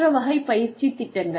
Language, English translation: Tamil, That is another type of training program